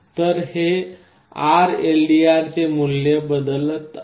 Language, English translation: Marathi, So, this RLDR value is changing